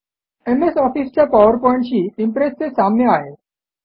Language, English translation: Marathi, It is the equivalent of Microsoft Office PowerPoint